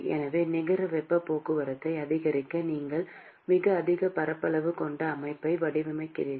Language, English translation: Tamil, So, in order to increase the net heat transport, you design a system which has very high surface area